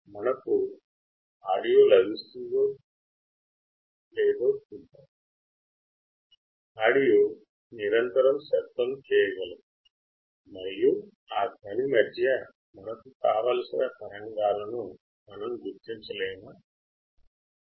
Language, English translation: Telugu, Let us see if we can get an audio, that can continuously make a sound and in between that sound if there is a signal can we identify that signal or not that is a noise